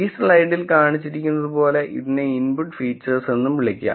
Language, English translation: Malayalam, We can also call this as input features as shown in this slide